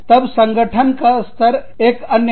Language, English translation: Hindi, Then, the level of organization, is another one